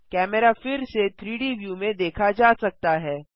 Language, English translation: Hindi, The camera can be seen again in the 3D view